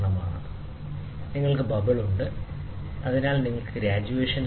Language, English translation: Malayalam, So, it is something like this, you have a bubble, ok, so you have graduations